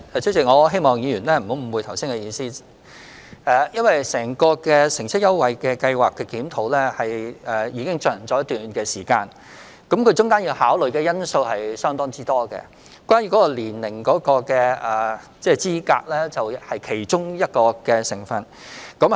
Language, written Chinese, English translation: Cantonese, 主席，我希望議員不要誤會我的意思，因為乘車優惠計劃的檢討已進行一段時間，其間要考慮的因素相當多，而年齡資格是其中一個因素。, President I hope that Members will not get me wrong because the review on the transport fare concession scheme has been in progress for some time and there are quite a lot of factors to be considered including eligible age